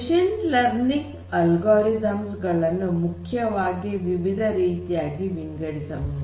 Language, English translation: Kannada, So, there are different machine learning algorithms they can be classified broadly into different types